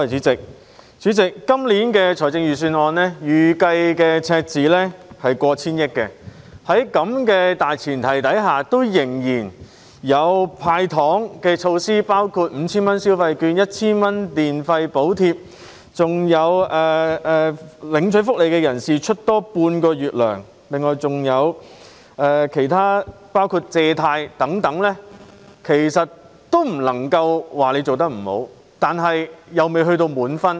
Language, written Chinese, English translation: Cantonese, 主席，今年的財政預算案預計赤字超過 1,000 億元，在這大前提下仍然有"派糖"措施，包括 5,000 元消費券 ，1,000 元電費補貼及向領取福利人士額外發放半個月津貼，亦有提供貸款計劃等其他措施，我不能說司長做得不好，但卻未能取得滿分。, President this years Budget forecasts a fiscal deficit of over 100 billion . Against this background some handout measures have still been implemented including 5,000 consumption vouchers 1,000 electricity subsidy and the provision of an extra allowance to social security recipients equal to half a month of payment . Some other measures such as loan schemes are also rolled out